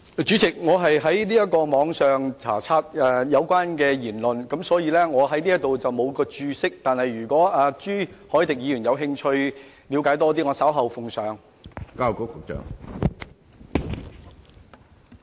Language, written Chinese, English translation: Cantonese, 主席，我是在網上查閱有關的言論，我在此沒有註釋，但如果朱凱廸議員有興趣了解更多，我稍後奉上。, President I read the speech online and I do not have the explanatory notes with me here . But if Mr CHU Hoi - dick is interested in learning more I will tell him the source later on